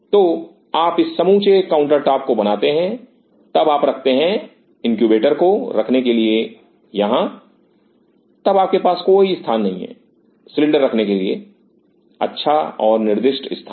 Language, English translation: Hindi, So, you make this whole counter top then you place the place your incubator here then you do not have any space designated good spot to keep the cylinder